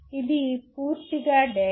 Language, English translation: Telugu, It is purely data